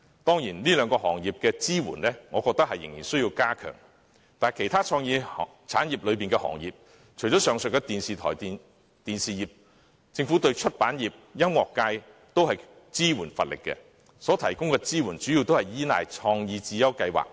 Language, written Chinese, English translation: Cantonese, 當然，對於這兩個行業的支援，我認為是仍需加強的，但除了上述的電台電視業外，政府對其他創意產業，例如出版業和音樂界等，也是支援乏力的，所提供的支援主要依賴"創意智優計劃"。, Of course the Government must still reinforce its support for these two industries . But aside from audio and television broadcasting as mentioned above the Government has also failed to provide effective support for the other creative industries such as publishing and music and the assistance given to them comes primarily from the CreateSmart Initiative